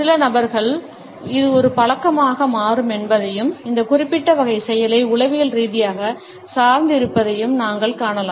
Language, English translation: Tamil, In some people, we would find that this becomes a habit and there is a psychological dependence on this particular type of an action